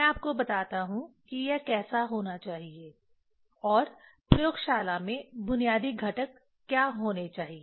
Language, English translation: Hindi, Let me tell you how it should be and what are the basic components should be in the laboratory